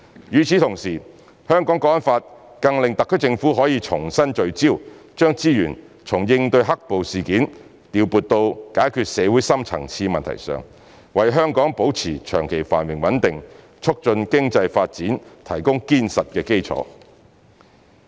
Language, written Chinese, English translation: Cantonese, 與此同時，《香港國安法》更令特區政府可以重新聚焦，將資源從應對"黑暴"事件調撥到解決社會深層次問題上，為香港保持長期繁榮穩定，促進經濟發展提供堅實的基礎。, The steadfast successful and continual implementation of one country two systems was also ensured . At the same time the National Security Law allows the SAR Government to refocus its resources from dealing with the riots to resolving deep - seated problems in society thus it has provided a solid foundation for the long - term prosperity and stability of Hong Kong and the promotion of Hong Kongs economic development